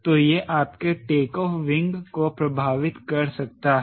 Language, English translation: Hindi, so it may affect you takeoff wing